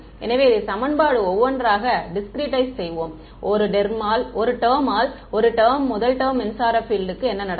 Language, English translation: Tamil, So, let us just discretize this equation one by one, one term by one term first term electric field, what happens